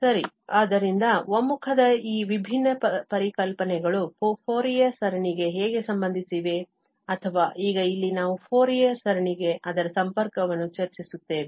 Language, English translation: Kannada, Well, so how these different notions of convergence are related to the Fourier series or now, we will discuss here, their connection to the Fourier series